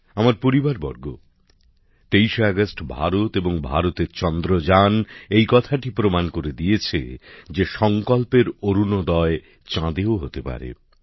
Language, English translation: Bengali, My family members, on the 23rd of August, India and India's Chandrayaan have proved that some suns of resolve rise on the moon as well